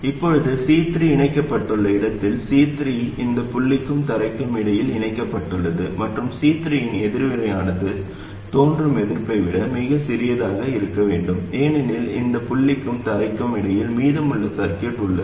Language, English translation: Tamil, C3 is connected between this point and ground, and the reactance of C3 must be much smaller than the resistance that appears because of the rest of the circuit between this point and ground